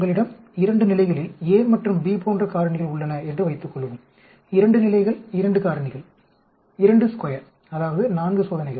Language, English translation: Tamil, Suppose you have 2 factors like a and b at 2 levels, 2 levels 2 factors 2 raise to the power 2 that is 4 experiments